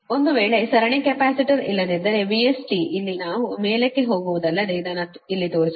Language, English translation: Kannada, if, if the series capacitor is not there, then v s t, we will go to the top here, only, here only not shown, but here only right